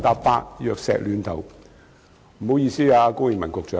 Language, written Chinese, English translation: Cantonese, 不好意思，高永文局長。, Excuse me Secretary Dr KO Wing - man